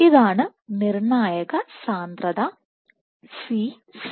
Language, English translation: Malayalam, So, this is the critical concentration Cc